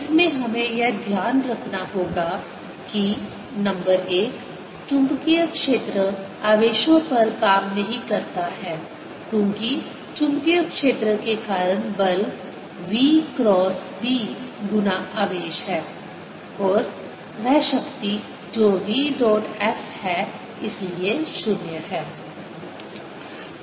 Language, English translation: Hindi, in this we must keep in mind that number one, magnetic field, does no work on charges, because the force due to magnetic field is v cross b times the charge q and the power, which is v dot f, therefore, is zero